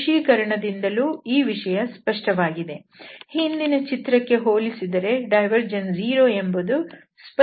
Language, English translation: Kannada, Indeed, so that is what also clear from the visualization as compared to the earlier figure, it is clearly visible here that the divergence is 0